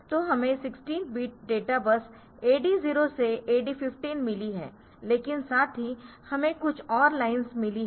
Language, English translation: Hindi, So, this we have got 16 bit data bus AD 0 to AD 15 the D 0 to 15, but also we have got some more reliance